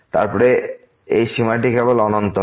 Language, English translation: Bengali, Then, this limit will be just infinity